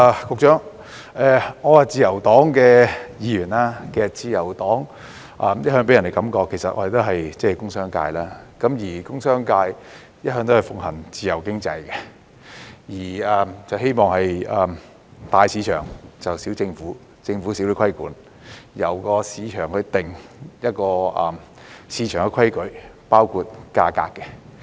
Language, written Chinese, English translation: Cantonese, 局長，我是自由黨的議員，其實自由黨一向予人的感覺是我們來自工商界，而工商界向來奉行自由經濟，希望做到"大市場、小政府"，政府少些規管，由市場決定市場的規矩，包括價格。, Secretary I am a Member from the Liberal Party . As a matter of fact the Liberal Party always gives people a feeling that we come from the commercial and industrial sectors . These sectors believe in a free economy and Big Market Small Government under which the Government imposes less regulation and let the market decide its rules including prices